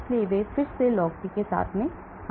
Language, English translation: Hindi, So they came up with again log P